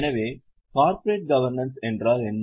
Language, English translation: Tamil, So, what is corporate governance